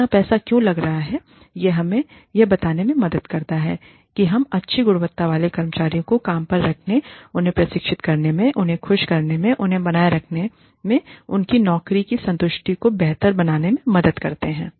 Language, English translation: Hindi, It helps us justify, why we are investing so much money, in hiring good quality employees, in training them, in retaining them, in making them happy, in helping them improve their job satisfaction